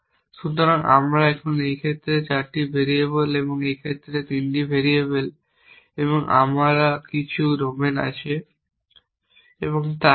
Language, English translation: Bengali, So, we have now you know in those case 4 variables in this case 3 variables and we have some domains and so on